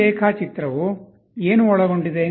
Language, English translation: Kannada, What does this diagram contain